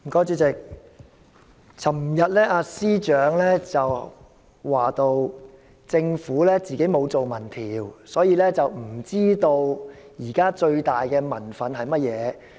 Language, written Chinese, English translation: Cantonese, 主席，司長昨天提到政府沒有進行民意調查，故不知道現在最大的民憤是甚麼。, President the Chief Secretary said yesterday that he did not know the greatest cause for public resentment as the Government had not conducted any public opinion survey